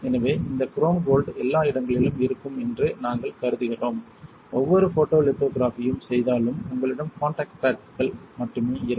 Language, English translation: Tamil, So, we assume that this chrome gold is everywhere alright, any perform photolithography such that you will only have the contact pads alright